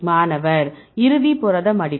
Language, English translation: Tamil, Final protein folding